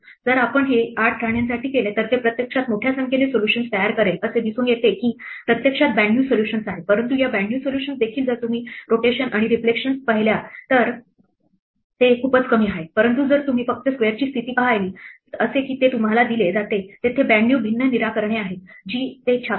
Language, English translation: Marathi, If we do it for 8 queens for instance then it will actually produce a vast number of solutions it turns out there are actually 92 solutions, but even these 92 solutions if you look at rotations and reflections they come out to be much less, but if you just look at a position of the square as it is given to you then, there are 92 different solutions that it prints out